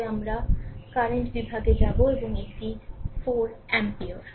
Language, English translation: Bengali, But we will go for current division and this is 4 ampere